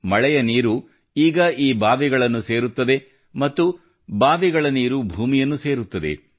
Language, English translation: Kannada, Rain water now flows into these wells, and from the wells, the water enters the ground